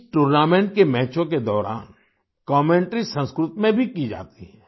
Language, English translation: Hindi, Commentary is also done in Sanskrit during the matches of this tournament